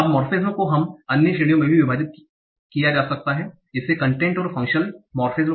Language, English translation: Hindi, Now morphemes can also be divided into some other categories like content versus functional morphemes